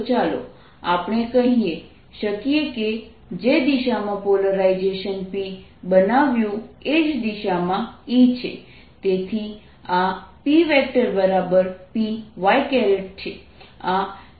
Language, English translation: Gujarati, so let us say that the polarization created is p in the same direction, its e